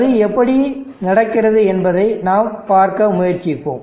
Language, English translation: Tamil, How that happens we will be trying to see